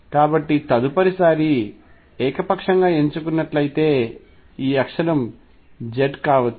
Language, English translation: Telugu, So, if it is chosen arbitrarily the next time this axis could be the z axis